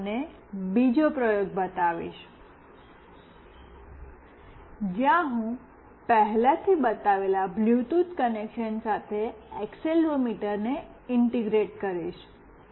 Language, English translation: Gujarati, Today, I will show you another experiment, where I will integrate accelerometer along with the Bluetooth connection that I have already shown